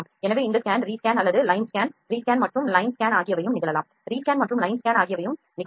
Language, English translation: Tamil, So, these scan rescan or line scan can also happen rescan and line scan